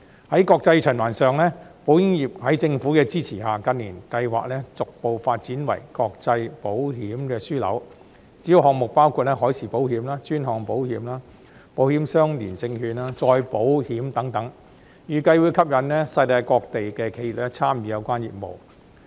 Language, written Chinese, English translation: Cantonese, 在國際循環上，保險業在政府的支持下，近年計劃逐步發展為國際保險樞紐，主要項目包括海事保險、專項保險、保險相連證券、再保險等，預計會吸引世界各地的企業參與有關業務。, On international circulation with the support of the Government it has been planned in recent years that Hong Kong will be gradually developed into an international insurance hub and the major businesses include marine insurance specialty insurance insurance - linked securities and reinsurance . It is expected that enterprises from all over the world will be attracted to participate in the relevant businesses